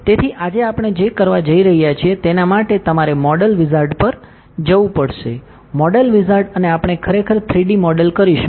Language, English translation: Gujarati, So, for what we are going to do today, you have to go to modal wizard go to modal wizard and we will be doing 3D model actually